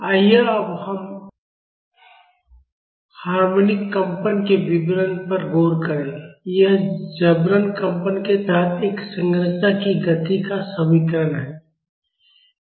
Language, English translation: Hindi, Now let us look into the details of harmonic vibrations, this is the equation of motion of a structure under forced vibrations